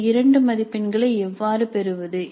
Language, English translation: Tamil, Now how do we get these two marks